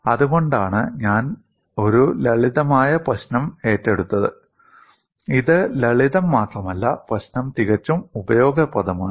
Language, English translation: Malayalam, That is why I have taken up a simple problem; it is not only simple, the problem is quite useful